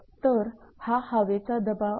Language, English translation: Marathi, So, these are the wind pressure